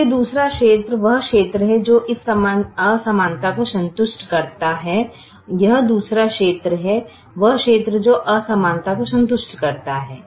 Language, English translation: Hindi, therefore the other region is the region that satisfies this inequality